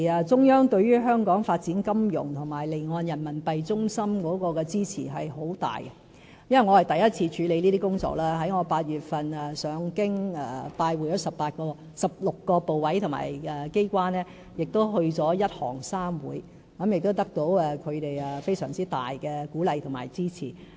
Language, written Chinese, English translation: Cantonese, 中央對於香港發展金融及作為離岸人民幣業務中心有很大的支持，因為我是第一次處理這些工作，我在8月曾赴京拜會16個部委及機關，亦曾前往"一行三會"，得到他們非常大的鼓勵及支持。, The Central Authorities strongly support Hong Kongs financial development and its status as an offshore Renminbi business hub . As this is the first time for me to handle tasks in this field I visited 16 ministries departments and authorities in Beijing in August . I also visited the Peoples Bank of China the China Banking Regulatory Commission the China Securities Regulatory Commission and the China Insurance Regulatory Commission receiving great encouragement and support from these institutions